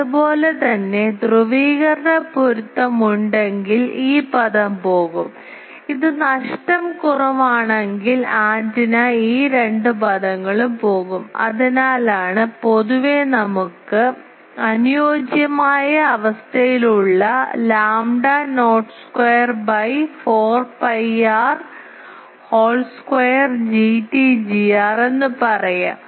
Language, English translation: Malayalam, Similarly if there is polarization match this term will go, if it is a loss less antenna these two term will go, that is why generally we have under ideal condition lambda not square by 4 pi r whole square G t G r